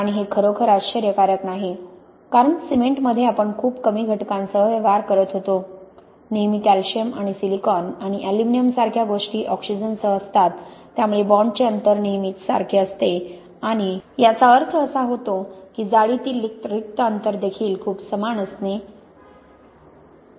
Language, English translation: Marathi, And this is not really surprising, because in cement, all the, we were dealing with a quite small number of elements, always things like calcium and silicon and aluminum with oxygen so the bond distances will always be the same and this means that the lattice vacant spacings also tend to be very similar